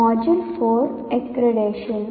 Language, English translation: Telugu, Module 4 is strictly accreditation